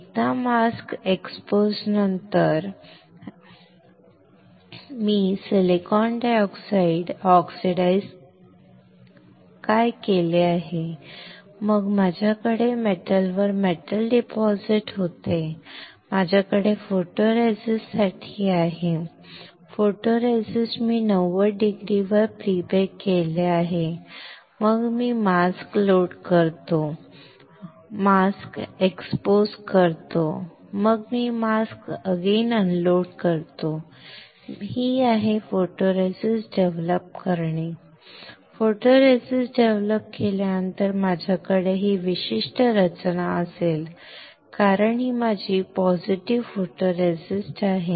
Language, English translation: Marathi, Once I unload the mask right, this is see; what I have done silicon dioxide oxidize then I had deposit metal on metal I have for photoresist, photoresist I have pre bake it at 90 degree, then I load the mask, I expose the mask, then I am unloading the mask, I am developing photoresist, after developing photoresist I will have this particular structure because this is my positive photoresist